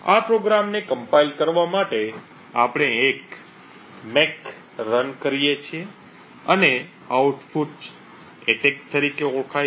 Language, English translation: Gujarati, In order to compile this program, we run a make and obtain an output known as attack